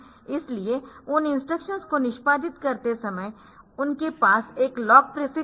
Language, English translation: Hindi, So, those instructions while executing they will have a lock prefix in them